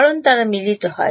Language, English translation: Bengali, Because they are coupled